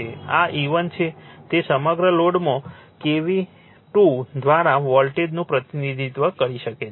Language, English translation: Gujarati, This is your E 1 it can be represent by K V 2 voltage across the load